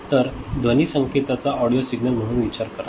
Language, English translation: Marathi, So, consider a sound signal audio signal right